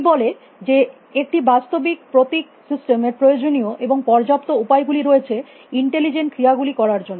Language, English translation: Bengali, It says there the physical symbol system as a necessary and sufficient means to generate intelligent action